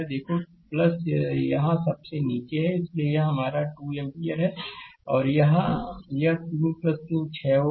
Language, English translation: Hindi, Look plus is here at the bottom right, therefore, this is your 2 ampere; and here this 3 plus 3 6 ohm